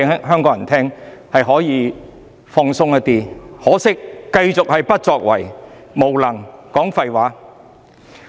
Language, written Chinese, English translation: Cantonese, 很可惜，政府繼續不作為、無能、"講廢話"。, Yet much to our regret the Government is continuing its inaction incompetence and bullshit